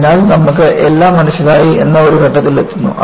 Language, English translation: Malayalam, So, you reach a stage, where you find that, you have understood everything